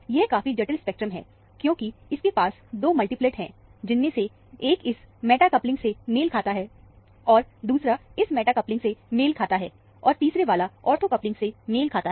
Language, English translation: Hindi, It is a fairly complex spectrum, because it has 2 multiplets; one corresponding to this meta coupling, and the other one corresponding to this meta coupling, the third one corresponding to the ortho coupling